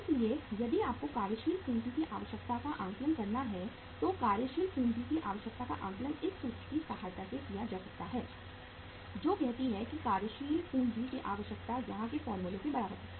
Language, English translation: Hindi, So if you have to say assess the working capital requirement so working capital requirement can be assessed with the help of this formula say working capital requirement is equal to what is the formula here